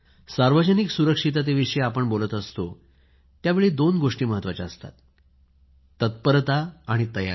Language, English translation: Marathi, When we refer to public safety, two aspects are very important proactiveness and preparedness